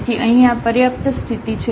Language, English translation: Gujarati, So, here this is the sufficient condition